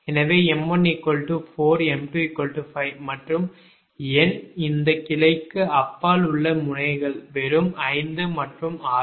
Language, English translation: Tamil, so m one is four, m two is five and number of nodes beyond these branch is just five and six